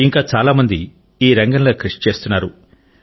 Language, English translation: Telugu, Many more such people must be working in this field